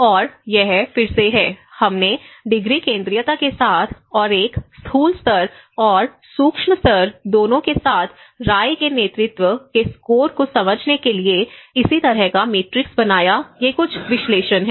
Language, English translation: Hindi, And this is again, we made this similar matrix to understand the opinion leadership score with the degree centrality and with both as a macro level and the micro level so, these are some of the analysis